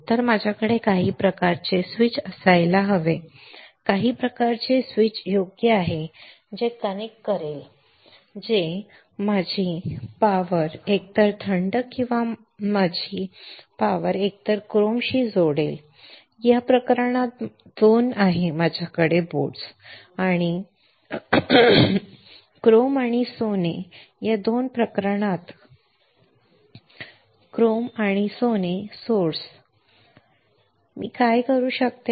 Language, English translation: Marathi, So, I should have some kind of switch some kind of switch right that will connect that will connect my power, my power to either cold or my power to either chrome right in this case I have 2 I have 2 boats chrome and gold or 2 sources chrome and gold in this case What can I do